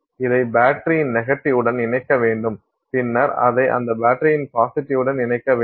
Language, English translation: Tamil, And let's say you connect this to the negative of battery and then you connect that to the positive of that battery and you do something like that